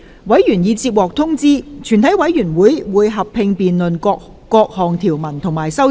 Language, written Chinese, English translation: Cantonese, 委員已獲通知，全體委員會會合併辯論各項條文及修正案。, Members have been informed that the committee will conduct a joint debate on the clauses and amendments